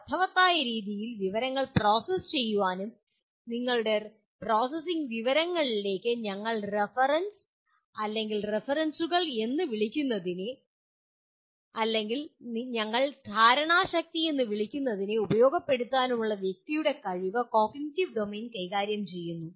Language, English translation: Malayalam, And cognitive domain deals with the person’s ability to process and utilize information in a meaningful way what we call reference/references to your processing information or what you call we call it intellect